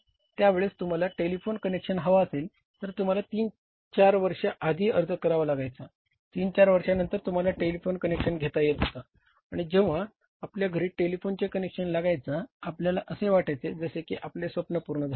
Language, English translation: Marathi, At that time if you had to have a telephone connection you had to apply three four years in advance after three four years you were getting the telephone connection and when telephone was being installed at our home we were considering a dream come true